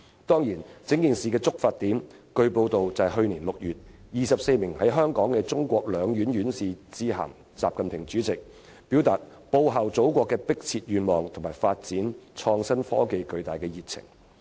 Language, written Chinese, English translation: Cantonese, 當然，據報道，整件事的觸發點是，去年6月24名在港的中國兩院院士致函主席習近平，表達報效祖國的迫切願望和發展創新科技的巨大熱情。, Certainly as reported the whole thing was triggered by 24 Hong Kong academicians of the Chinese Academy of Sciences and the Chinese Academy of Engineering who issued a letter to President XI Jinping in June last year to express their desire of contributing to the motherland and also their strong passion for innovation and technology development